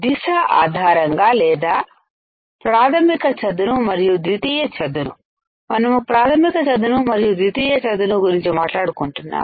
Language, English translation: Telugu, Based on the orientation or based on the primary flat and secondary flat, we are talking about primary flat and secondary flat